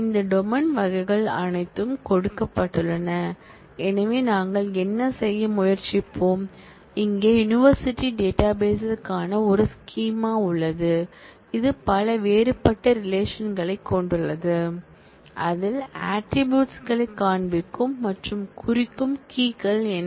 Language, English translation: Tamil, Given all these domain types; so, what we will try to do is, here is a schema for the university database, which has multiple different relations designed in that showing the attributes and marking out, what are the keys